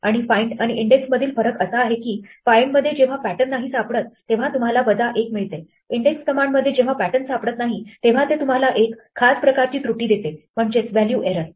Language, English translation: Marathi, In find when the pattern is not found you get a minus 1, in index when the pattern is not found you get a special type of error in this case a value error